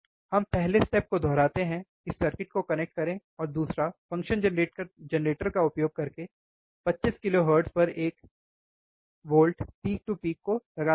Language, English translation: Hindi, First step let us repeat connect the circuit second apply one volt peak to peak at 25 kilohertz using functions generator